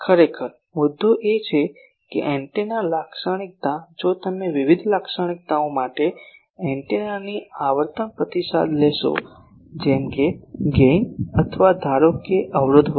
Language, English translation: Gujarati, Actually, the point is that antenna characteristic if you take frequency response of antennas for various characteristic like gain or suppose impedance etcetera etc